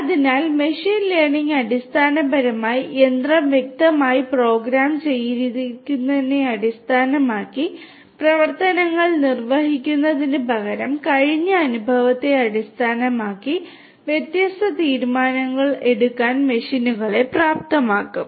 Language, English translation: Malayalam, So, machine learning basically will enable the machines to make different decisions based on the past experience rather than having the machine perform the actions based on what it is explicitly programmed to